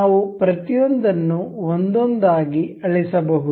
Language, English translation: Kannada, We can delete each of them one by one